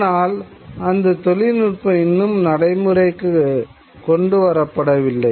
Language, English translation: Tamil, But the technology has not yet been developed